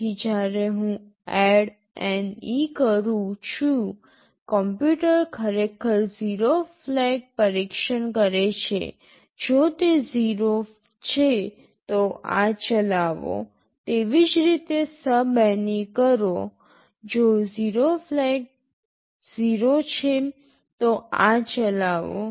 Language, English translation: Gujarati, So, when I say ADDNE, the computer is actually testing the 0 flag; if it is 0 then execute this; similarly SUBNE; if the 0 flag is 0, then execute this